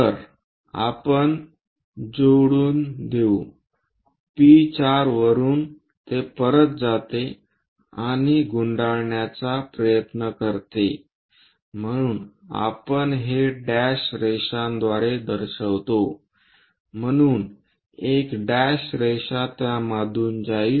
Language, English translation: Marathi, So, let us connect from P4 onwards it goes back and try to wind so we show it by dashed line, so a dashed line pass through that